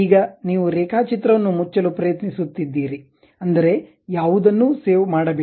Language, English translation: Kannada, Now, you are trying to close the drawing, that means, do not save anything